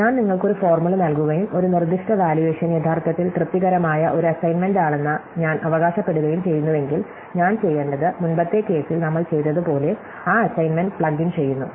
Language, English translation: Malayalam, So, if I give you a formula and I claim that a given valuation is actually a satisfying assignment, all I have to do, is I plug in that assignment, like we did for the earlier case